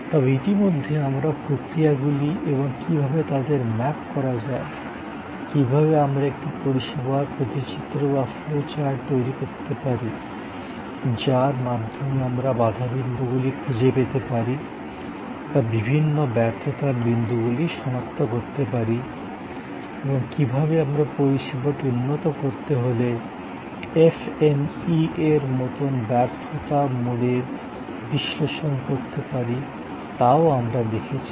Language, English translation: Bengali, But, in the mean time we have also looked at processes and how processes can be mapped, how we can create a service blue print or flow chart through which we can then find out the bottlenecks or we can identify the various fail points and how we can do an FMEA type of failure mode type of analysis to improve upon the service